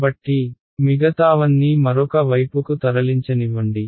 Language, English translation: Telugu, So, let me move everything else on to the other side